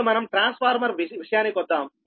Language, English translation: Telugu, now for a transformer